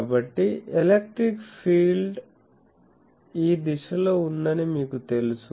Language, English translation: Telugu, So, you know that the electric field is in this direction